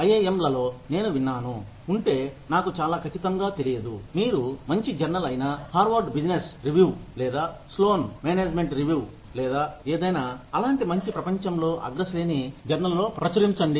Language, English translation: Telugu, But in IIMs, I have heard, I am not very sure that, if you publish, in a good journal like, Harvard business review, or Sloan management review, or any such top rated journal in the world